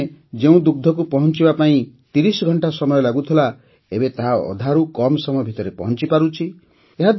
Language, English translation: Odia, Earlier the milk which used to take 30 hours to reach is now reaching in less than half the time